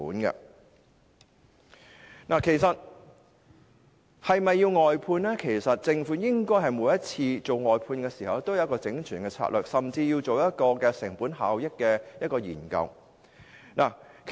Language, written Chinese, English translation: Cantonese, 至於是否需要外判，其實政府每次外判時，應該有一套完整的策略，甚至須進行成本效益的研究。, As regards whether outsourcing is necessary actually in each exercise of outsourcing the Government should have a complete strategy and should even conduct a study on cost - effectiveness